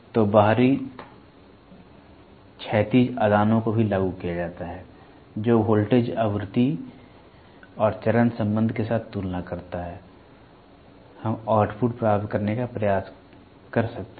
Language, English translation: Hindi, So, the external horizontal inputs are also applied which compares with the voltage, frequency and phase relationship, we can try to get the output